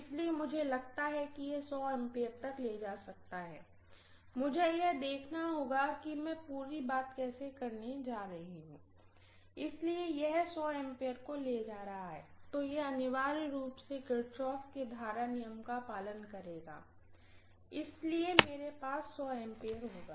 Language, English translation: Hindi, So I assume that it can carry up to 100 ampere, I will have to see how I am going to do the whole thing, so if this is carrying 100 ampere hopefully, this will essentially follow Kirchhoff’s current law, so I will have 100 ampere here